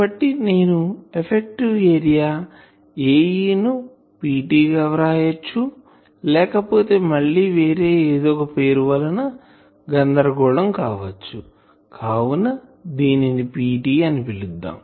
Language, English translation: Telugu, So, I can now write that effective area A e is P T, or I can there will be some confusion with the latent nomenclature so let us make it P T